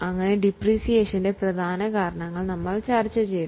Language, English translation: Malayalam, So we have just discussed the major causes of depreciation